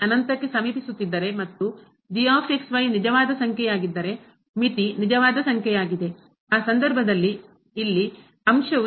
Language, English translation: Kannada, Now, if approaching to infinity and is a real number, the limit is a real number; in that case the quotient here the over